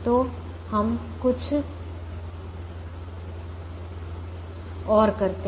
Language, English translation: Hindi, we have to do something more